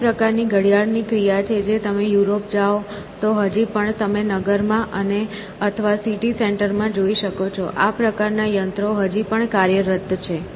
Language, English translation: Gujarati, So, this is the kind of clockwork which if you go to Eurpoe you can still see now essentially in this, in the town, or the city center we have this sort of machinery still operating